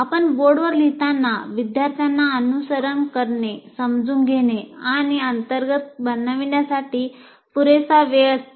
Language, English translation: Marathi, While you are writing on the board, the student has enough time to follow, understand, and internalize